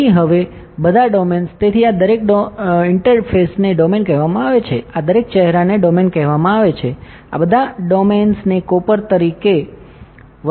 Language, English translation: Gujarati, So, now all domains; so, each of these interface is called the domain each of this faces are called a domain all the domains have been assigned the material as copper